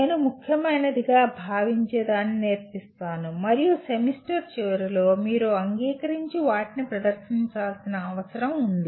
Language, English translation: Telugu, I teach what I consider important and at the end of the semester that is what you are required to accept and perform